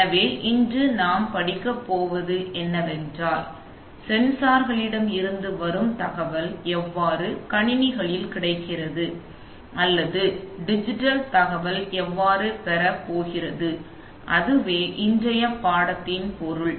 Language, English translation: Tamil, So what we are going to study today is how the data which is fine, which is coming from the sensors gets into the computers or how digital data is going to be acquired, right, so that is the subject of the lesson today